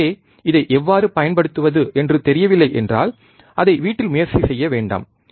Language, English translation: Tamil, So, if you do not know how to use it, do not try it at home